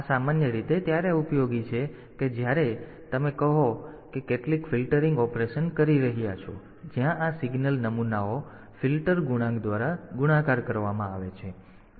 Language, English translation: Gujarati, This is typically useful when you are say for example, doing some filtering operation where these signal samples are multiplied by filter coefficients